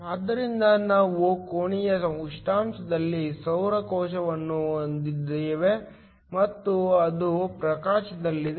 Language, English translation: Kannada, So, we have a solar cell at room temperature and it is under illumination